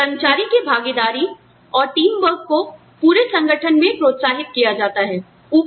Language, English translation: Hindi, Then, the employee participation and teamwork are encouraged, throughout the organization